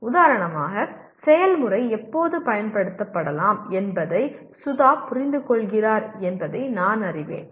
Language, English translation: Tamil, For example, I know that Sudha understands when the procedure can be applied